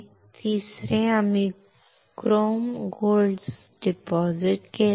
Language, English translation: Marathi, Third, we have deposited chrome gold